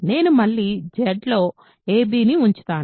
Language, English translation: Telugu, I will keep a b in Z again ok